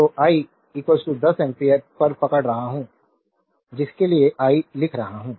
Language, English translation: Hindi, So, I is equal to 10 ampere just hold on I am writing for you